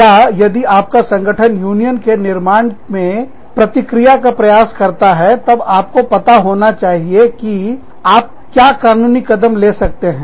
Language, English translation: Hindi, Or, if your organization tries to react, to the formation of a union, you must know, what are the steps, that you can take, legally